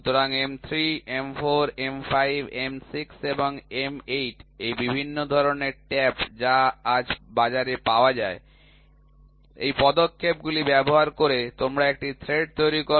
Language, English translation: Bengali, So, M 3, M 4, M 5, M 6 and M 8, these are various types of taps which are available in the market today, by using these steps you create a thread